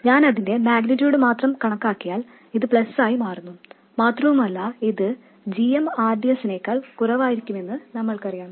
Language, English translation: Malayalam, If I consider only its magnitude becomes plus and we know that this is going to be less than GM RDS